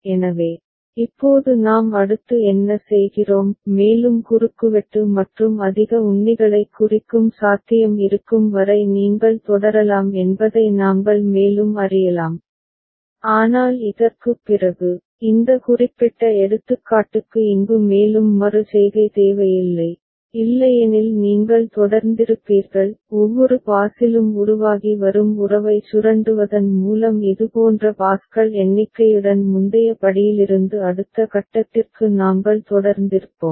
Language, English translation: Tamil, So, now what we do next; we could further you know proceed till there is a possibility of marking more cross and more ticks ok, but we can see that after this, for this particular example here there is no further iteration required otherwise you would have continued; we would have continued from previous step to the next step with number of such passes by exploiting the relationship that are emerging in every pass